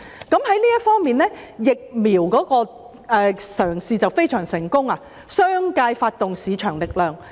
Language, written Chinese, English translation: Cantonese, 在這方面，鼓勵接種疫苗的嘗試可說非常成功，因商界充分發揮了市場力量。, In this connection the move to encourage vaccination has been a huge success in that the business sector has made best use of market force